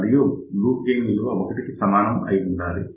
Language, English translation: Telugu, However, loop gain should be greater than 1